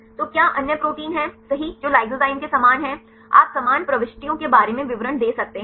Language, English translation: Hindi, So, what the other proteins right which is similar to lysozyme, you can give the details about the similar entries